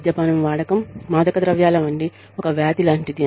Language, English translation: Telugu, Alcoholism like drug use, is a disease